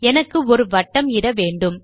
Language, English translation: Tamil, I want to place a circle